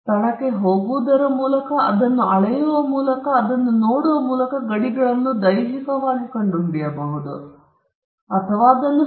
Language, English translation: Kannada, The boundaries can be ascertained physically by going to the location and measuring it or looking at it; if the boundaries are protected and it gives a much clearer view of what is the extent of the land